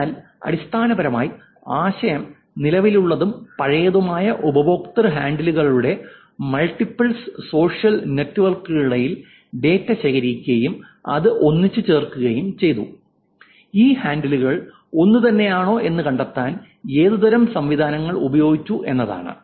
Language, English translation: Malayalam, So, essentially the idea is that data was collected between multiple social networks of the current and the past user handles and how this was put together and what kind of mechanisms was used to find out whether these handles are same